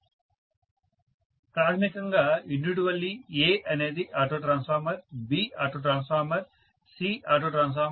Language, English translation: Telugu, Basically individually A is auto transformer, B is auto transformer, C is auto transformer